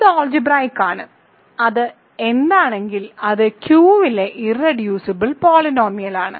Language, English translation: Malayalam, So, it is algebraic and if it is what is it is irreducible polynomial over Q